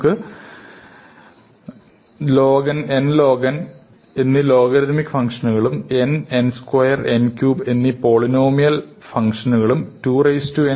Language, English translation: Malayalam, So, we have log n and then we have something, which is polynomial n, n square, n cube